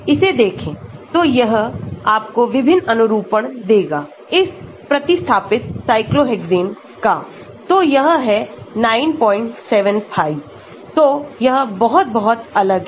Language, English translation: Hindi, Look at this so, it is giving you different conformations of this substituted cyclohexane so, this is 9